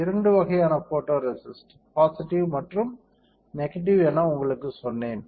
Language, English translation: Tamil, So, if I say photoresist, photoresist are of two types, positive photoresist and negative photoresist correct